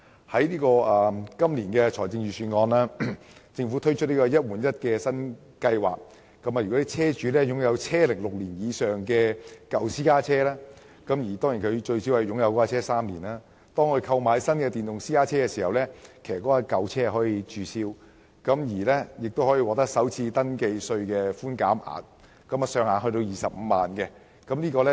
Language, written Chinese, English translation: Cantonese, 政府在本年的財政預算案推出"一換一"計劃，如果車主擁有車齡6年以上的舊私家車，並最少持有私家車3年，當他購買電動車時便可以註銷舊車，並可享有首次登記稅的寬免額，上限為25萬元。, The Government rolls out the one - for - one replacement scheme the Scheme in the Budget of this year . If a car owner possesses an old car aged six years above for at least three years he may deregister and scrap the old car and enjoy the FRT concession capped at 250,000 when purchasing an EV